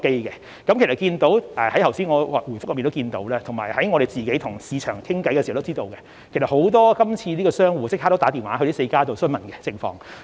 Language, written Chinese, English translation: Cantonese, 大家從我剛才的答覆中也可看到——以及在我們與市場溝通時也知道——其實今次很多商戶已立即致電該4家營辦商詢問詳情。, Members should be able to see from my main reply and we also know for our communication with the market that actually many merchants have enquired with the four SVF operators for the details